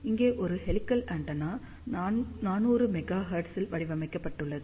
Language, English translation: Tamil, So, here one helical antenna has been designed around 400 megahertz